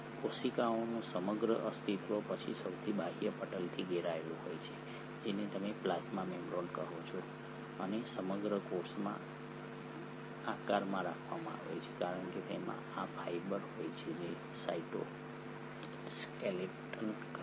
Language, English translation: Gujarati, The whole entity of a cell is then surrounded by the outermost membrane which is what you call as the plasma membrane and the whole cell is held in shape because it consists of these fibre which are the cytoskeleton